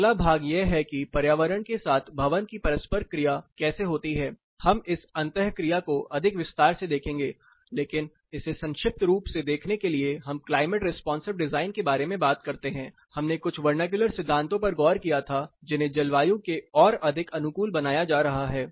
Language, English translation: Hindi, Next part is how building interacts with environment, we will look at this interaction more in detail, but to look at it short we talk about climate responsive design we did look at some vernacular principles which were being adapted to be more climates responsive